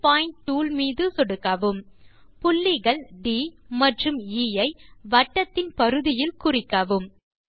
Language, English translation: Tamil, Click on new point tool, mark points D and E on the circumference of the circle